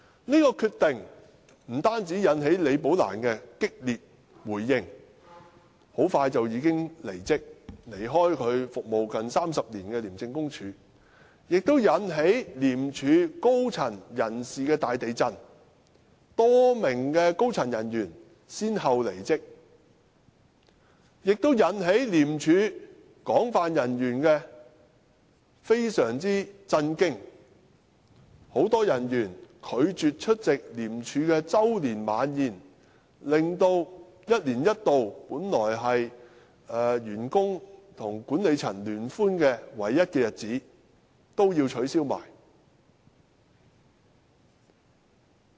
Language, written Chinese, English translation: Cantonese, 這決定不單引起李寶蘭激烈回應，很快便已經離職，離開她服務近30年的廉署，更引致廉署高層大地震，多名高層人員先後離職，令廉署人員非常震驚，很多人員拒絕出席廉署的周年晚宴，令一年一度本來是員工與管理層聯歡的唯一活動也要取消。, This decision not only caused strong reactions from Rebecca LI who quitted shortly and left ICAC where she had worked for almost three decades but also led to a major reshuffle in the senior echelons of ICAC as a number of senior officers quitted one after another . This came as a great shock to ICAC officers . Many of them refused to attend the annual dinner of ICAC so the only activity held annually for enjoyment by the staff and the management had to be cancelled